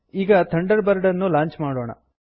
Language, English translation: Kannada, Lets launch Thunderbird